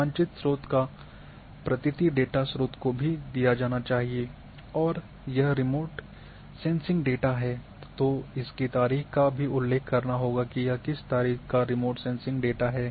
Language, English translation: Hindi, The map credit's must also be given the source of data and date of data if it is remote sensing data one must mention that what was the date of the remote sensing data